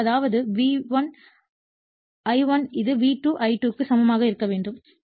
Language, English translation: Tamil, So, that means, V1 I1 it has to be equal to V2 I2 right